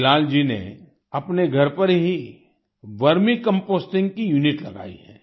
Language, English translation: Hindi, Bilal ji has installed a unit of Vermi composting at his home